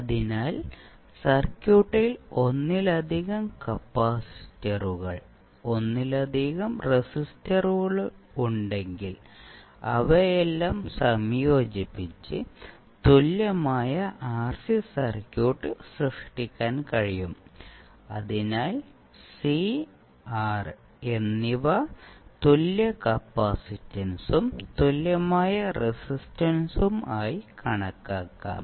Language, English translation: Malayalam, So, if you have multiple capacitors multiple resistors in the circuit, you can club all of them and create an equivalent RC circuit, so where c and r can be considered as an equivalent capacitance and equivalent resistance